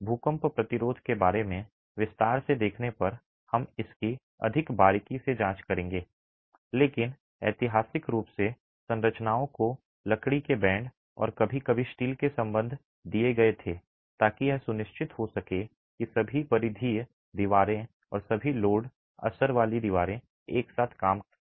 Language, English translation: Hindi, We will examine this more closely when we start looking at detailing for earthquake resistance but historically structures were given timber bands and sometimes steel ties to ensure that all peripheral walls and all load bearing walls act together